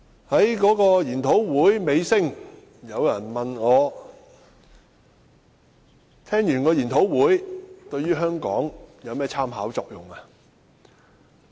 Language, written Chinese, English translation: Cantonese, 在研討會的尾聲，有人問我，研討會內容對香港有何參考作用？, Towards the end of the seminar someone asked me what Hong Kong could learn from the content of the seminar